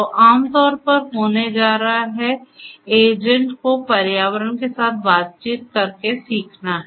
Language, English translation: Hindi, So, typically is going to happen is the agent has to learn by interacting with the environment